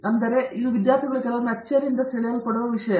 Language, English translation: Kannada, So, this is something that sometimes students are caught by surprise